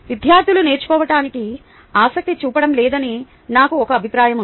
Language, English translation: Telugu, i had a mindset that the students were not interested in learning